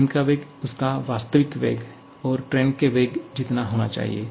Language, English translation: Hindi, Truly speaking, the velocity of the ball should be its actual velocity plus the velocity of the train